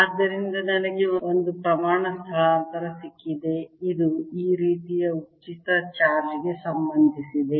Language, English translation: Kannada, so we have got one quantity displacement which is related to the free charge, like this